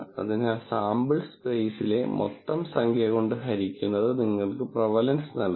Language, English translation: Malayalam, So, that divided by the total number in the sample space, it will give you the prevalence